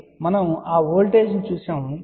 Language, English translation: Telugu, So, we have seen that voltage